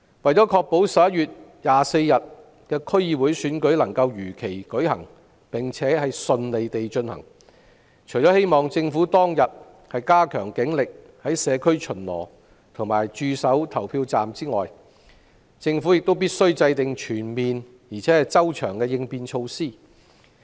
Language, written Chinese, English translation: Cantonese, 為確保11月24日的區議會選舉能夠如期並順利地舉行，希望政府當日加強警力在社區巡邏和駐守投票站，並制訂全面而周詳的應變措施。, To ensure that the DC Election can be held as scheduled and smoothly on 24 November I hope the Government will deploy more police officers on that day to patrol the communities and guard polling stations . It should also formulate comprehensive and detailed contingency measures . If rumours on the Internet come true ie